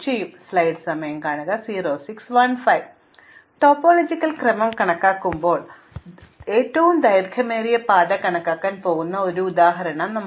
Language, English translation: Malayalam, So, here is an example in which we are going to compute the longest path as we are computing the topological order